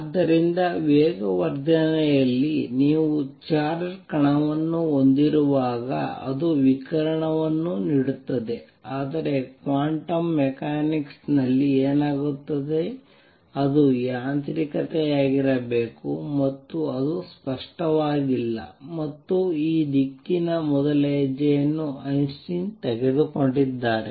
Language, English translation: Kannada, So, anytime you have a charged particle at accelerate it gives out radiation, but what happens in quantum mechanics what should be the mechanism and that was not clear and the first step in this direction was taken by Einstein